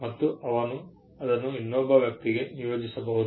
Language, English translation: Kannada, He may assign it to another person